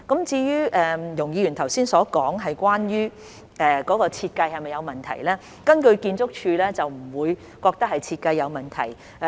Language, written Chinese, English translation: Cantonese, 至於容議員剛才問及系統在設計上是否有問題，建築署並不覺得是設計問題。, As to Ms YUNGs earlier question on whether there is any problem with the design of the system ArchSD does not think it is a design problem